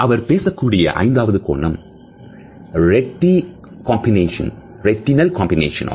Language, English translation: Tamil, The fifth dimension he has talked about is that of retinal combination